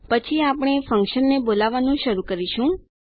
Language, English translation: Gujarati, Then we will start to call the function